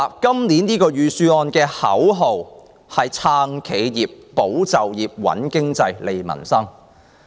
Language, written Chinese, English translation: Cantonese, 本年預算案的口號是"撐企業、保就業、穩經濟、利民生"。, The slogan of this years Budget is supporting enterprises safeguarding jobs stabilizing the economy strengthening livelihoods